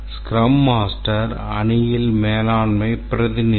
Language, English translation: Tamil, The Scrum master is the management representative in the team